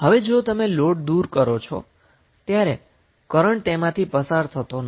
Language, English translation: Gujarati, So if you remove these the load, no current will be flowing